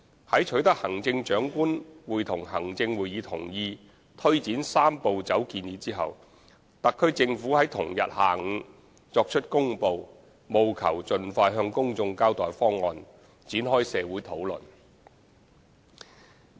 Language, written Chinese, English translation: Cantonese, 在取得行政長官會同行政會議同意推展"三步走"建議後，特區政府在同日下午作出公布，務求盡快向公眾交代方案，展開社會討論。, Subsequent to obtaining the endorsement of the Chief Executive in Council in taking forward the Three - step Process proposal the HKSAR Government made an announcement in the same afternoon so as to provide information on the proposal to the public and initiate public discussion as early as possible